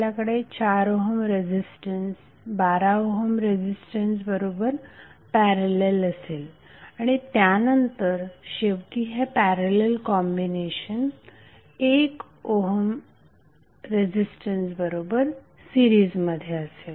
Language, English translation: Marathi, We have to with only the forum registrants in parallel with 12 ohm resistance and then finally the parallel combination in series with 1 ohm resistance